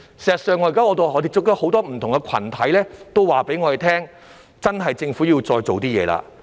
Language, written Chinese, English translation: Cantonese, "事實上，我們現時接觸到很多不同的群體也告訴我們，政府真的要再做一點工夫。, As a matter of fact many different groups we have come into contact with told us that the Government should really do more